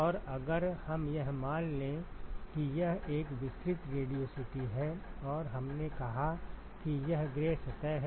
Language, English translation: Hindi, And if we assume that it is a, a diffuse radiosity and we said it is gray surface